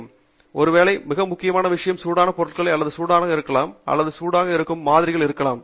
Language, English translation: Tamil, As part of safety associated with thermal things that we do in a lab, perhaps the most important thing is handling hot items, equipment that may be hot or samples that may be hot